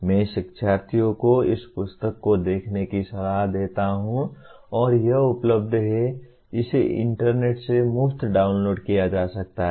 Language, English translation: Hindi, I recommend the learners to have a look at this book and it is available, it can be downloaded from the internet free